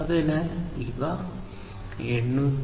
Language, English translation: Malayalam, So, this 802